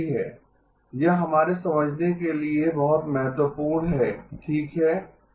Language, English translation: Hindi, This is very important for us to understand okay